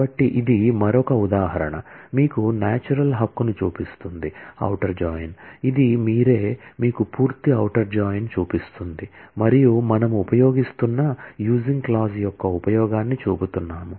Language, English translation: Telugu, So, this is another example, showing you the natural right outer join, this is you, showing you full outer join and we are showing the use of the using clause